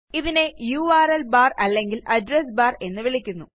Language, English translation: Malayalam, It is called the URL bar or Address bar